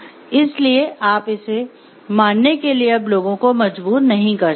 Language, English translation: Hindi, So, you cannot force the people for doing it